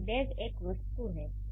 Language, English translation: Hindi, So, backpack is an object